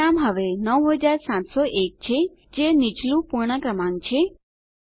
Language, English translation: Gujarati, The result is now 9701 which is the lower whole number